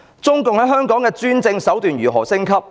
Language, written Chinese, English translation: Cantonese, 中共在香港的專政手段如何升級？, How has CPC strengthened its authoritarian strategy on Hong Kong?